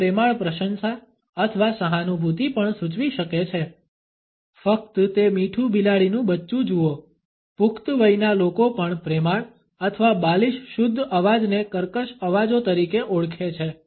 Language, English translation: Gujarati, It can also suggest affectionate admiration or sympathy “just look at that sweet kitten” coaxing adults also the affectionate or babyish purring voice are known as creaky voices